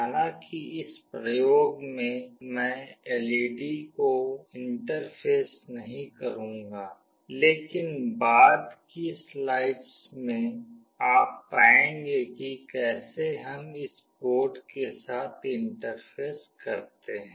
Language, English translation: Hindi, Although in this experiment I will not interface the LED, but in subsequent slides you will find how do we interface it with the board